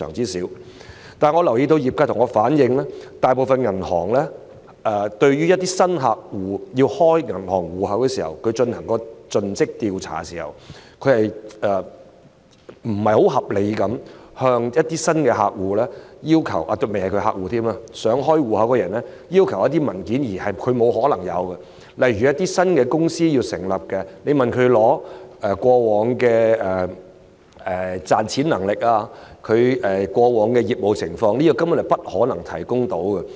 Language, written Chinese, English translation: Cantonese, 但是，我留意到業界向我反映，大部分銀行就開戶要求進行盡職調查時，會不太合理地要求想開戶的人士——尚未是客戶——提供一些他不可能有的文件，例如向新成立的公司索取過往賺錢能力和業務情況的文件，這些文件根本不可能提供。, However I note from members of the industry that when conducting customer due diligence CDD process regarding account opening requests most banks would be rather unreasonable to require submission of documents that the people who want to open bank accounts cannot possibly have eg . documents on past profitability and business activities of newly established companies . It is simply not possible for them to provide such documents